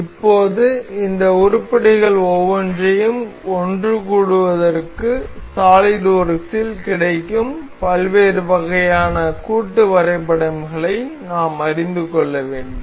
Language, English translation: Tamil, Now, to assemble each of these items into one another, we need to know different kinds of assembly that that are available in the solidworks